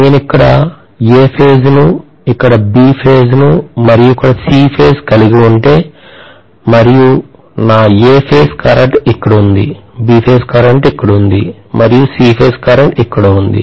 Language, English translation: Telugu, If I am having A phase here, B phase here, and C phase here and let us say my A phase current is somewhere here, B phase current is somewhere here and C phase current is somewhere here